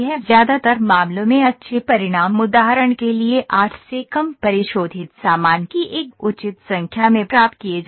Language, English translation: Hindi, In most cases good results are achieved it in a reasonable number of refinement stuff less than 8 for example